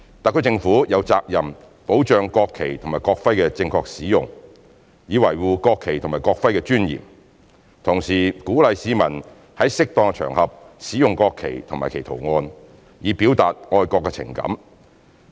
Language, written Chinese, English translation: Cantonese, 特區政府有責任保障國旗及國徽的正確使用，以維護國旗及國徽的尊嚴，同時鼓勵市民在適當場合使用國旗及其圖案，以表達愛國情感。, The Government of the Hong Kong Special Administrative Region HKSAR has the responsibility to safeguard the proper use of the national flag and national emblem in order to preserve their dignity and at the same time to encourage the public to use the national flag and its design on appropriate occasions to express their patriotic feelings